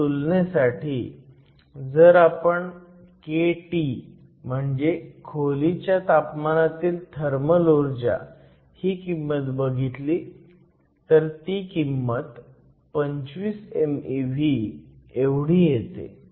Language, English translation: Marathi, Just for comparison, if you look at the value of kT, which is a thermal energy at room temperature, kT has a value of 25 milli electron volts